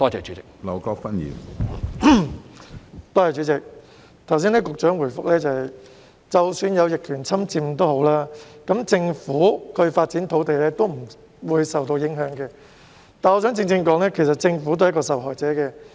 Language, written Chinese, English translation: Cantonese, 主席，剛才局長的答覆說，即使有逆權侵佔，亦不會影響政府發展土地，但我想說的是，政府都是一個受害者。, President the Secretarys reply just now says that even if a piece of land is being adversely possessed it will not affect the Governments plan to develop the land . However I wish to say that the Government is also a victim